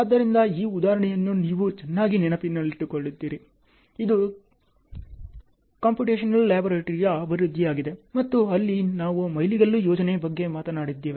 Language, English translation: Kannada, So, this example you remember very well, this was a development of a computational laboratory and there we talked about milestone planning and so on ok